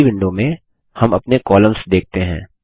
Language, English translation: Hindi, In the next window, we see our columns